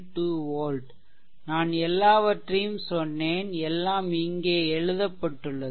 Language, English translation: Tamil, 2 volt I told I solved it everything for you everything is written here